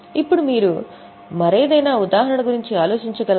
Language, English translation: Telugu, Now, can you think of any other example